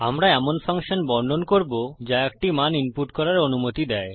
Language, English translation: Bengali, We will deal with a function that allows you to input a value